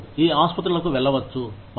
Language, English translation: Telugu, You can go to these hospitals